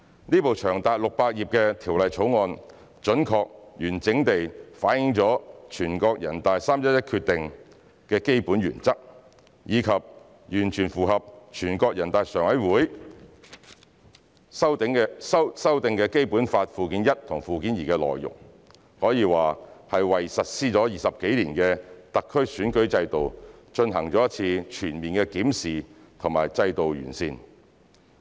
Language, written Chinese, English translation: Cantonese, 這部長達600頁的《條例草案》，準確及完整地反映了全國人大《決定》的基本原則，以及完全符合全國人民代表大會常務委員會修訂的《基本法》附件一和附件二的內容，可以說是為實施了20多年的特區選舉制度，進行一次全面的檢視和制度的完善。, This 600 - page Bill which accurately and fully reflects the basic principles provided in NPCs Decision is completely consistent with the amendments to Annex I and Annex II to the Basic Law approved by the Standing Committee of the National Peoples Congress NPCSC . This legislative exercise can be described as a comprehensive review and improvement of SARs electoral system that has been implemented for more than two decades